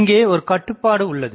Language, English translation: Tamil, So, that is the restriction